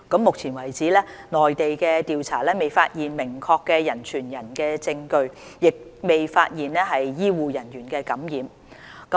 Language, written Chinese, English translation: Cantonese, 目前為止，內地的調查未發現明確的人傳人證據，亦未發現醫護人員受感染。, So far investigations by the Mainland authorities found no evidence of definite human - to - human transmission and no health care workers have been found infected